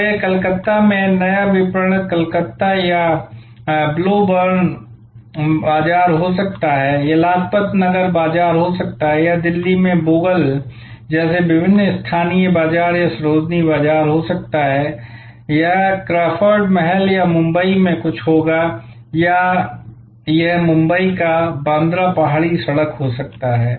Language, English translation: Hindi, So, it may be new marketing Calcutta or Balogun market in Calcutta it can be Lajpat Nagar market or different other local markets like Bogal in Delhi or Sarojini market it will be the Crawford palace or something in Mumbai or it could be the Bandra hill road in Mumbai